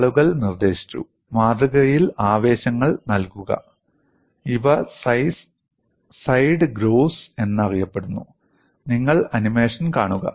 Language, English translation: Malayalam, People suggested provide grooves on the specimen, and these are known as side grooves, and you just watch the animation